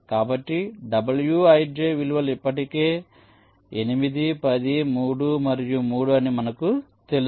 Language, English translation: Telugu, so wij values are already known: eight, ten, three and three